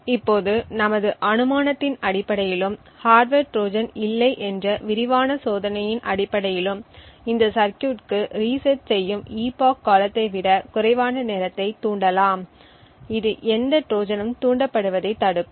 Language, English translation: Tamil, Now based on our assumption and the extensive testing that there are no hardware Trojan that can be triggered with a time less than an epoch resetting this circuit would prevent any Trojan from being triggered